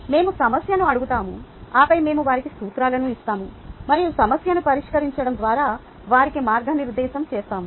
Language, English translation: Telugu, we approach the problem, then we give them the principles and then we guide them through solving the problem